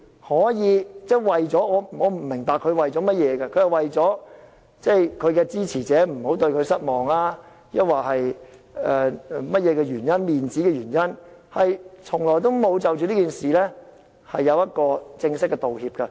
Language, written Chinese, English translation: Cantonese, 我不明白何君堯議員是否為了不讓支持者對他失望，還是甚麼或面子的原因，他多個月來從沒有就此事作出正式的道歉。, Dr Junius HO has not offered any formal apology months after his remarks . I am not sure if it is because he does not wish to let his supporters down or because he is afraid of losing face